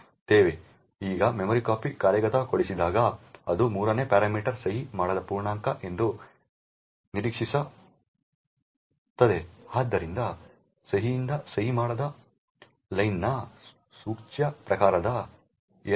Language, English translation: Kannada, Now when memcpy executes since it expects the 3rd parameter to be an unsigned integer therefore there is an implicit type casting of len from signed to unsigned